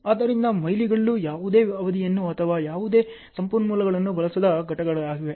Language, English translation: Kannada, So, milestones are events which does not consume any duration nor any resources